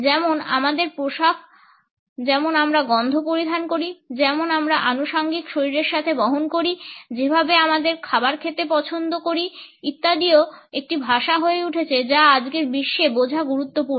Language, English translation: Bengali, Like our dress like the smells we wear, like the accessories we carry along with our body, the way we prefer our food to be eaten etcetera also has become a language which is important to understand in today’s world